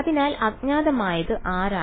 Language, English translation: Malayalam, So, unknowns are